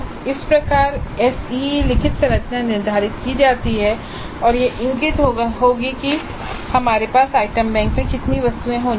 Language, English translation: Hindi, So, this is how the SE instrument structure is determined and that will indicate approximately how many items we should have in the item bank